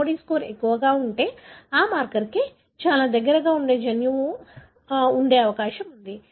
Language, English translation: Telugu, So, if the LOD score is higher, then it is likely that the gene is present very close to that marker